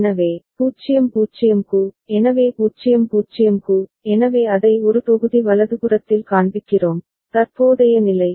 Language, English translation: Tamil, So, for 0 0, so 0 0, so we are showing it in one block right, the current state